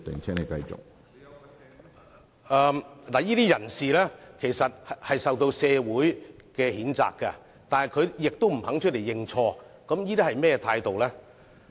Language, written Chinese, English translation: Cantonese, 這些人士受到社會譴責，但亦不願意認錯，這究竟是甚麼態度呢？, These people are denounced by the public yet they are unwilling to admit their faults . What kind of attitude is it after all?